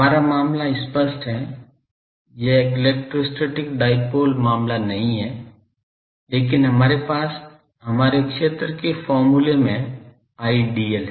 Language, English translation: Hindi, Our case is obviously, not this electrostatic dipole case but we have in our field expressions we have an Idl